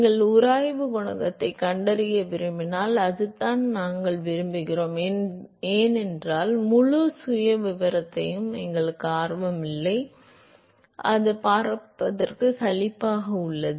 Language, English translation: Tamil, And that is what we want if you want to find the friction coefficient because that is what we want to find we are not interested in the whole profile, it is very boring to see the whole profile